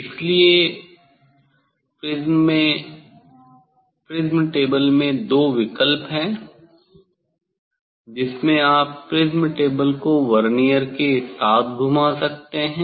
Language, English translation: Hindi, So; prism table have two option you can rotate the prism table with Vernier